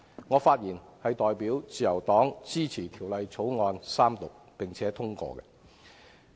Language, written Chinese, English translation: Cantonese, 我發言代表自由黨支持《條例草案》三讀，並且通過。, I speak on behalf of the Liberal Party to support the Third Reading and the passage of the Bill